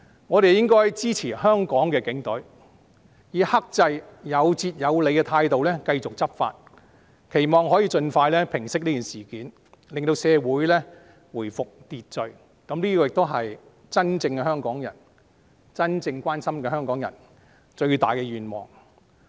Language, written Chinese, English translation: Cantonese, 我們應該支持香港警隊，以克制、有節有理的態度繼續執法，期望可以盡快平息事件，令社會回復秩序，這是真正香港人、真正關心香港的人最大的願望。, We should support the Hong Kong Police Force to continue to enforce the law in a restrained reasonable and rational manner hoping that the incidents will subside as soon as possible so that society will return to order . This is the dearest wish of real Hongkongers and people who are sincerely concerned about Hong Kong